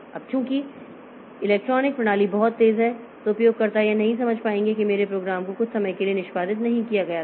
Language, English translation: Hindi, Now, since the electronic system is very fast so users will not understand that my program was not executed for some amount of time